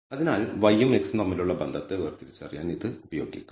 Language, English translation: Malayalam, So, that can be used to distinguish maybe to look for the kind of relationship between y and x